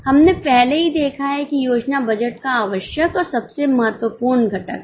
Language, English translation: Hindi, We have already seen that planning is the essential and the most important component of budget